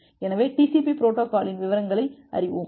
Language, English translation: Tamil, So, that is the basic things about the TCP protocol